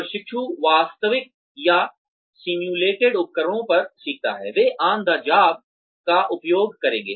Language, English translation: Hindi, Trainees, learn on the actual or simulated equipment, they will use on the job